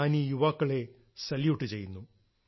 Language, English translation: Malayalam, I salute all these jawans